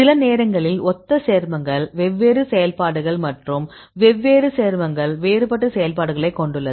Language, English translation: Tamil, In this case, sometimes similar compounds; different activities and the different compound has dissimilar activities